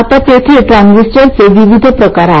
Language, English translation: Marathi, Now there is a wide variety of transistors